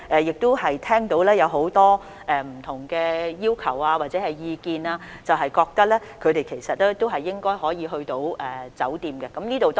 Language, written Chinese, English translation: Cantonese, 然而，我們聽到很多不同的要求或意見，覺得這些抵港人士應該可以入住酒店。, Having said that we have heard a lot of different demands or views that these people arriving in Hong Kong should be allowed to stay in hotels